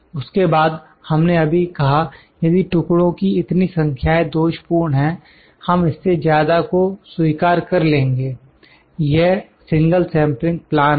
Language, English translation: Hindi, Then we just said if these many numbers of pieces are defected, we will accept more than these, it will be accepted, this is single sampling plan